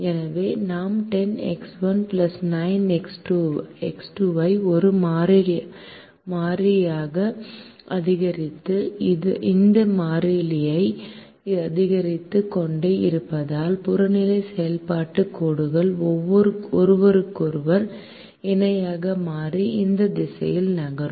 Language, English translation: Tamil, so as we increase ten x one plus nine x two to a constant and keep increasing this constant, the objective function lines become parallel to each other and move in this direction